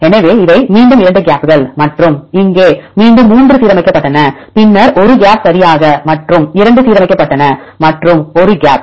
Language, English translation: Tamil, So, then again 2 gaps and here again the 3 aligned and then 1 gap right and 2 are aligned and 1 gap